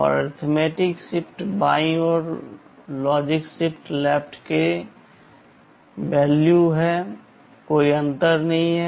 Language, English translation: Hindi, And arithmetic shift left is same as logical shift left, no difference